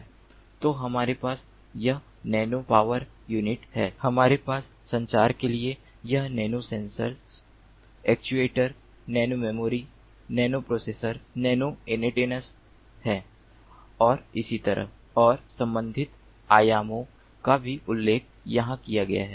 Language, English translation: Hindi, so we have this nano power unit, we have this nano sensors, actuators, nano memory, nano processor, nano antennas for communication and so on, and these corresponding dimensions are also mentioned over here